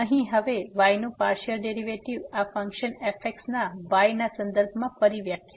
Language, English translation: Gujarati, So, here now the partial derivative of y with respect to the of this function again the definition